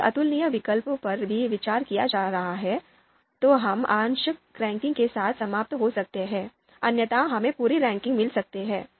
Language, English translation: Hindi, If incomparable alternatives are also being considered, then we might end up with the partial ranking, otherwise we might get the complete ranking